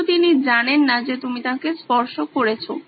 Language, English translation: Bengali, But he doesn’t know that you have touched him